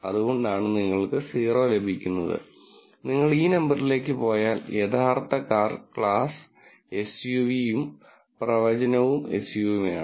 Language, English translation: Malayalam, So, that is why you get a 0 and if you go to this number, the true car class is SUV and the prediction is also SUV